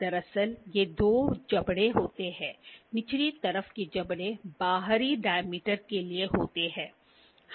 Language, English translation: Hindi, Actually, they are two jaws, the jaws on the lower side is for the external dia